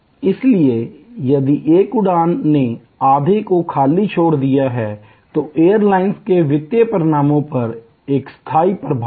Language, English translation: Hindi, So, therefore, if one flight has left half empty that is a permanent impact on the financial results of the airlines